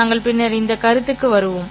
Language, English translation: Tamil, We will come to those things later